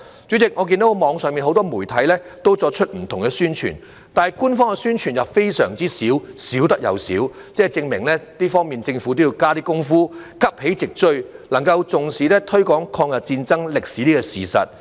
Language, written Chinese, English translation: Cantonese, 主席，我看到網上很多媒體均作出不同的宣傳，但官方的宣傳卻少之又少，證明在這方面，政府要多加工夫，急起直追，重視推廣抗日戰爭歷史的教育。, President I have seen different publicity work done by many media organizations online but there is little official publicity . It is thus evident that in this regard the Government should make more efforts to catch up and attach importance to the promotion of education on the history of the War of Resistance